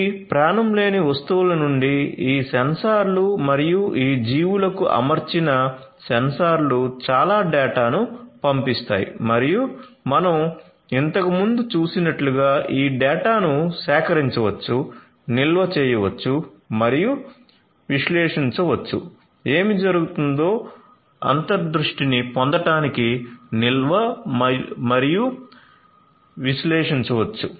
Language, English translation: Telugu, So, these all these sensors from these nonliving things plus the sensors fitted to these living things they are going to send lot of data and as we have seen previously this data can be collected, stored and analyzed, storage plus analyzed in order to gain insights about what is going on right